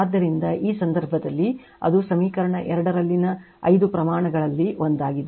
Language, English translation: Kannada, So, in this case that is each of the five quantities in equation 2 right